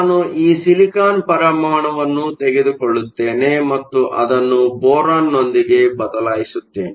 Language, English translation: Kannada, I will take this silicon atom and I replace it with boron now boron has 3 electrons